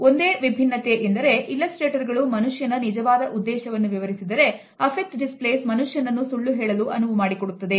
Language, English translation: Kannada, The only difference is that illustrators, illustrate the true intention of a person, but affect displays allow us to tell a lie